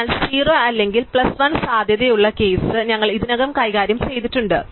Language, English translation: Malayalam, So, we have already dealt with the case where 0 or plus 1 is the possibility